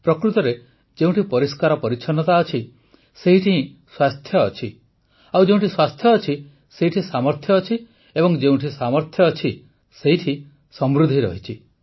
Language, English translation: Odia, Indeed, where there is cleanliness, there is health, where there is health, there is capability, and where there is capability, there is prosperity